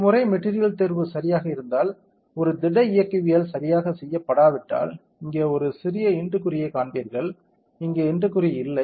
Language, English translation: Tamil, Once material selection is proper, if a solid mechanics is not done correctly, here you will see an into mark now that a into mark is not there